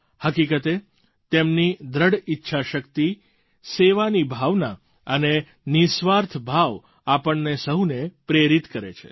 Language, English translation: Gujarati, In fact, their strong resolve, spirit of selfless service, inspires us all